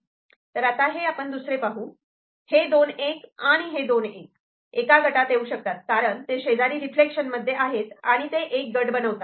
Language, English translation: Marathi, So, these two 1, and the other two 1, they are because of the reflection they two are neighbour and can be grouped